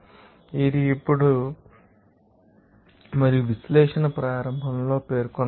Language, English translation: Telugu, Which is so then and is specified at the beginning of the analysis